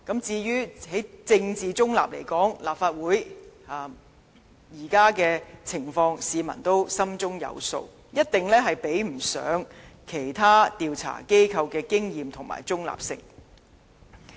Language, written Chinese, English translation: Cantonese, 至於在政治中立來說，立法會現時的情況，市民亦心中有數，一定不及其他調查機構的經驗和中立性。, Moreover there is also the issue of political neutrality . Members of the public are well aware that this Legislative Council cannot possibly compare with other investigative bodies in terms of experience and neutrality